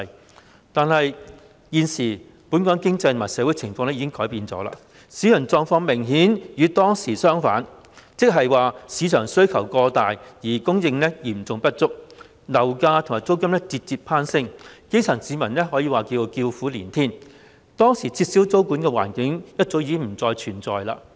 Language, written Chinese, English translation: Cantonese, 然而，本港現時的經濟和社會環境已經改變，市場狀況明顯與當時相反，即是市場需求過大而供應嚴重不足，樓價和租金節節攀升，基層市民可謂叫苦連天，當時撤銷租務管制的環境早已不復存在。, The market situation is obviously the opposite when compared with that time . The excessive market demand and serious shortage in supply have led to the ever - spiralling property prices and rents thereby bringing misery to the grass roots . The circumstances warranting the removal of tenancy control at that time no longer exist nowadays